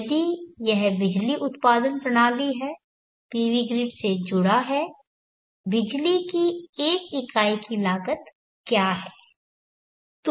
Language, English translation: Hindi, If it is the electricity generation system PV connected to the grid what is the cost of the 1 unit of the electricity